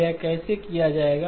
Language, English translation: Hindi, So how this would be done